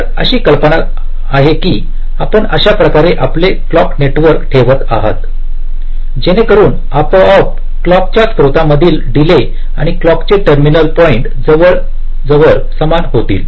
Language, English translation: Marathi, so the idea is that you are laying out your clock network in such a way that automatically the delay from the clock source and the clock terminal points become approximately equal